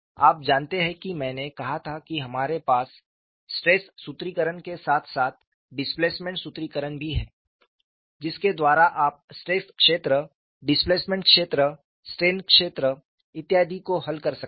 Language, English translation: Hindi, You know I had said we have stress formulation as well as displacement formulation by which you can solve stress field, displacement field, strain field so on and so forth